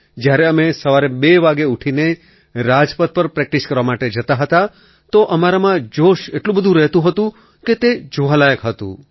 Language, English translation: Gujarati, When We used to get up at 2 in the morning to go and practice on Rajpath, the enthusiasm in us was worth seeing